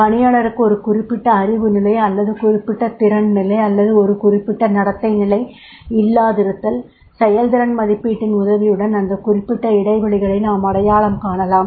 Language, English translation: Tamil, If the employee is lacking in a particular knowledge level or particular skill level or a particular behavioral level then we can identify those particular gaps and then we can provide him the training